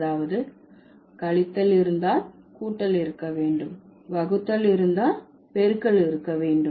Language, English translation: Tamil, So, that means if there is subtraction, there must be addition